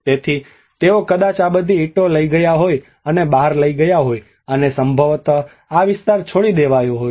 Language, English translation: Gujarati, So they might have taken all these bricks and taken out, and probably this area might have got abandoned